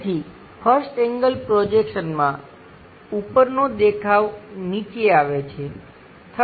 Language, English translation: Gujarati, So, in 1st angle projection, the top view comes at bottom